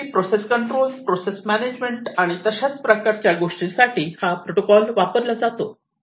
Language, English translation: Marathi, So, basically it is used for process control, process measurement and so on